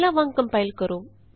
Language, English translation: Punjabi, Now compile as before